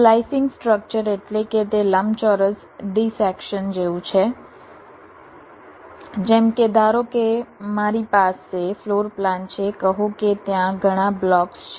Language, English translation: Gujarati, slicing structure means it is like a rectangular dissection, like, let say, suppose i have a floor plan, say there are many blocks